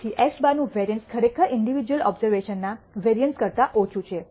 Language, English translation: Gujarati, So, the variance of x bar is actually lower than the variance of the individual observations